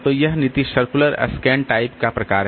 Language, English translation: Hindi, So, this is the circular scan type of policy